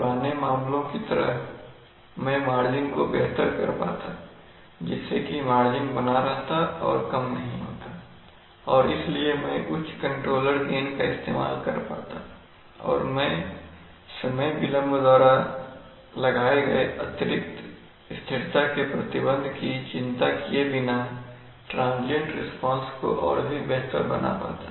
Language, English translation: Hindi, I could have improved margins like the, like my old case, so my margins remains would not have, do not degrade and therefore I can use high controller gains and therefore my responses would be like, I can use higher controller gets that I can improve transient response without worrying about the additional stability constraint imposed by the delay, so that is the problem